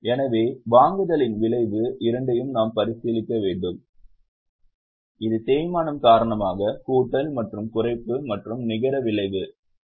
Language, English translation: Tamil, So, we have to consider both the effect of purchase and that is addition and reduction due to depreciation and the net effect will be this 34,600